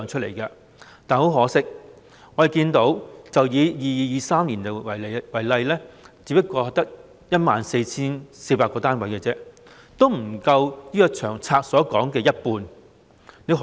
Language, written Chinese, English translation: Cantonese, 但很可惜，以 2022-2023 年度為例，我們看到建屋量只有 14,400 個單位，不足《長策》所說的一半。, But unfortunately taking 2022 - 2023 as an example we see that the housing production is only 14 400 units which is less than half of the amount stated in the LTHS